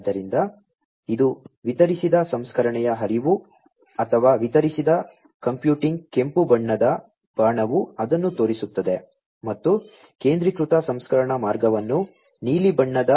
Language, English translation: Kannada, So, this is the flow of distributed processing or distributed computing the red colored arrow shows it and the centralized processing pathway is shown, through the blue colored arrow